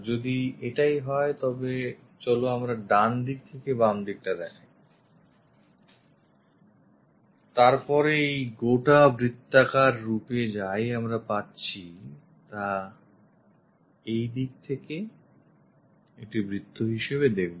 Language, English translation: Bengali, If that is the case, then the right side to left side let us visualize, then this entire circular format whatever we are getting that we will see it as circle on this side